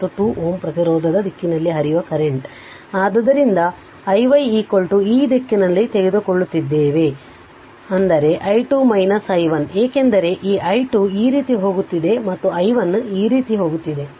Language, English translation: Kannada, And i y current flowing through 2 ohm resistance direction is this way, so i y is equal to your in this direction we are taking so is equal to i 2 minus i 1 right, because this i 2 this i 2 is going like this and this i 1 is going like this